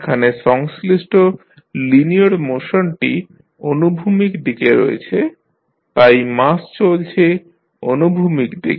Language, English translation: Bengali, The linear motion concerned in this is the horizontal direction, so the mass is moving in the horizontal direction